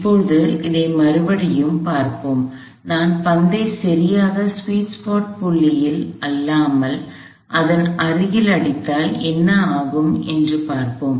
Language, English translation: Tamil, So, now, let us back and see, what happens if I hit the ball near the sweets part not exactly at the point that newer the sweets part